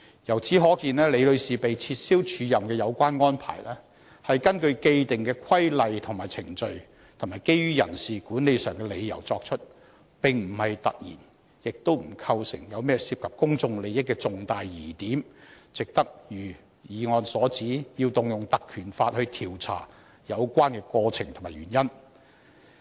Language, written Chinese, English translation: Cantonese, 由此可見，李女士被撤銷署任的有關安排，是根據既定的規例和程序，以及基於人事管理上的理由而作出，並不"突然"，也不構成甚麼涉及公眾利益的重大疑點，以致值得如議案所指，須引用《條例》調查有關的過程和原因。, It can be seen that the cancellation of Ms LIs acting appointment was made in accordance with established rules and procedure on the basis of personnel management reasons . It was not done all of a sudden and did not constitute any major doubts involving significant public interest so there is no reason why we must as pointed out in the motion invoke the Ordinance to inquire into the process and reasons